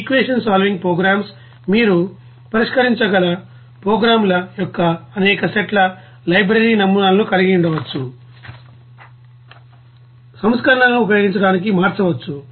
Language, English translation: Telugu, The equation solving programs may contain several sets of you know, library models of programs that you can use as it is or change for using modified versions